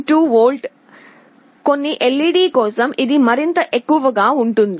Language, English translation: Telugu, 2 volt; for some LED, it can be even more